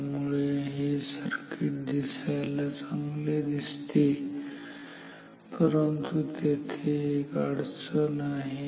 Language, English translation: Marathi, So, this circuit seems better good, but there is a problem